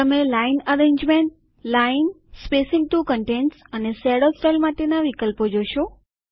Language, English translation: Gujarati, You will see the options for Line arrangement, Line, Spacing to contents and Shadow style